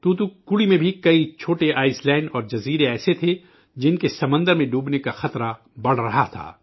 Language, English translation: Urdu, There were many such small islands and islets in Thoothukudi too, which were increasingly in danger of submerging in the sea